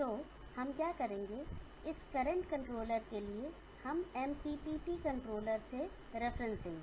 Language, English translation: Hindi, So what we will do for this current controller, we will give the reference to the MPPT controller